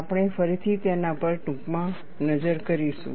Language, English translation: Gujarati, We will again have a brief look at that